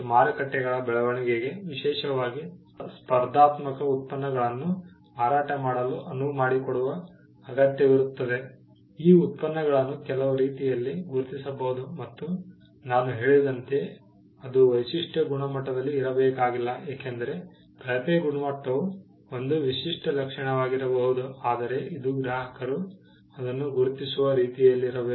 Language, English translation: Kannada, The growth of markets, especially which allowed for competing products to be sold require that, these products can be distinguished in some way and as I mentioned the distinguishing feature need not be just in the quality because, the poor quality can be a distinguishing feature, but it also had to be in a way in which customers could identify it